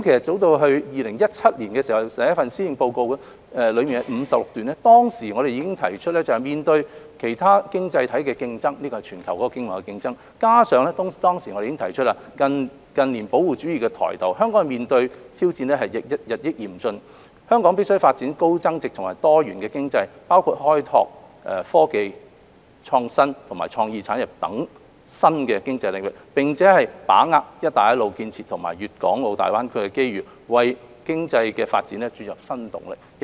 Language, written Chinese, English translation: Cantonese, 早於2017年，首份施政報告中第56段已經提到，面對其他經濟體的競爭——這是全球的經貿競爭——加上當時已提出近年保護主義抬頭，香港面對的挑戰日益嚴峻，必須發展高增值及多元經濟，包括開拓科技、創新及創意產業等新的經濟領域，並把握"一帶一路"建設和粵港澳大灣區的機遇，為經濟發展注入新動力。, In the maiden policy address delivered by the current - term Government in as early as 2017 it was stated in paragraph 56 that in the face of competition from other economies―which means the global trade competition―as well as the rise of protectionism in the years before that time Hong Kong was facing increasingly grave challenges and must develop a high value‑added and diversified economy . This embraced the development of new economic sectors such as technology innovation and creative industries and capitalizing on the opportunities arising from the national Belt and Road Initiative as well as the Guangdong‑Hong Kong‑Macao Greater Bay Area GBA development in order to generate new impetus for our future economic development